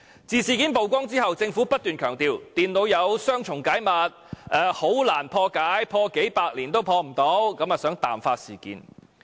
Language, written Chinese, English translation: Cantonese, 自事件曝光後，政府不斷強調電腦有雙重加密，很難破解，數百年也不能破解，想淡化事件。, After the incident was brought to light the Government tried to water down the incident by saying that the data was protected by multiple encryptions very difficult to break through without taking hundreds of years